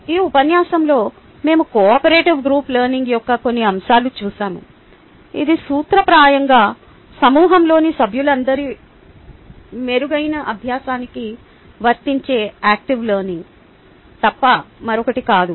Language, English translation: Telugu, in this lecture we looked at some aspects of cooperative group learning, which in principle is nothing but active learning applied to the improved learning of all the members in a group